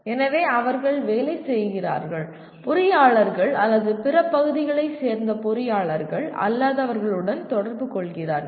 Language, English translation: Tamil, So they are working, interacting with what do you call engineers from, engineers or non engineers from other areas